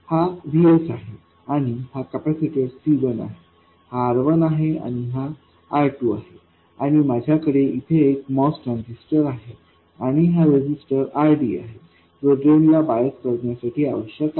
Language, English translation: Marathi, This is VS and I have a capacitor C1, R1 and R2 and I have my most transistor here and I have this resistance RD which is required to bias the drain